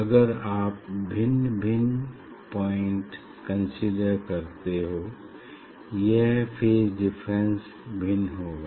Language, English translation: Hindi, if you consider the different point of superposition, so this phase difference will be different